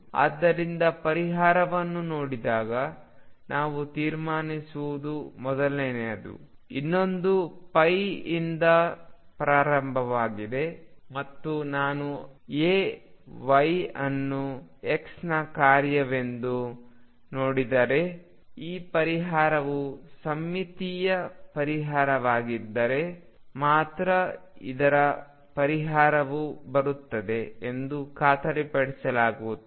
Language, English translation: Kannada, So, what we conclude when I look at the solution this is the first one, the other one starts from pi; and if I look at that y is a function of x this solution is guaranteed the other solution comes only if symmetric solution